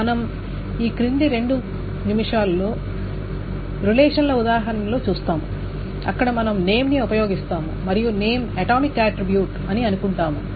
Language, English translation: Telugu, We will see examples of relations where we will use the name and we will assume that the name is an atomic attribute